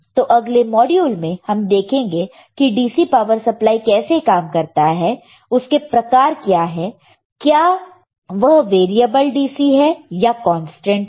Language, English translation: Hindi, So, in the next like I said module we have to see how the DC power supply operates, and what are the kind of DC power supply is it variable DC or it is a constant